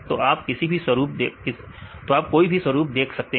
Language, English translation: Hindi, So, you can see any patterns right